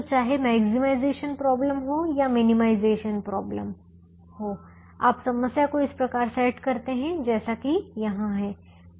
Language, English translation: Hindi, so whether you have a maximization problem or a minimization problem, you can set up the problem as as it is here